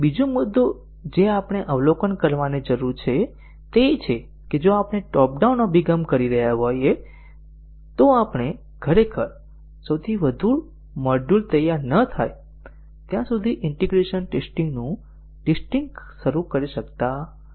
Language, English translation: Gujarati, So, another point that we need to observe is that if we are doing a top down approach, we cannot really start testing integration testing until the top most module is ready